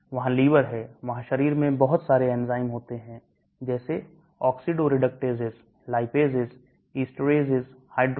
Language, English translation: Hindi, There is liver, there are so many enzymes in the body like oxidoreductases, lipase, estarase, hydrolase, amidace